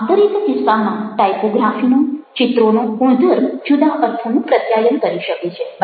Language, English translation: Gujarati, in each of these cases, the image quality of the typography does manage to communicate, convey different meanings